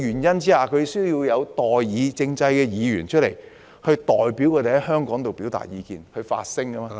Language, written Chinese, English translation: Cantonese, 因此，他們需在代議政制下選出議員，代表他們在議會發聲......, As such they need to elect Members under the representative government to represent their views in the legislature